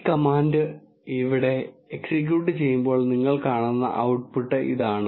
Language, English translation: Malayalam, This is the output you see when you execute this command here